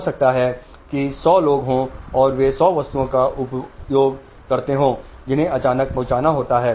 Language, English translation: Hindi, They are 100 people and they consume 100 items which have to be delivered